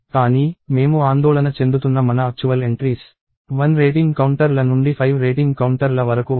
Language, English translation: Telugu, But, my actual entries that I am concerned about are rating counters of one to rating counters of 5